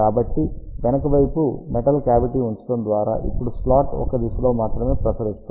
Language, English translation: Telugu, So, but by putting a metallic cavity in the backside; now slot will radiate only in one direction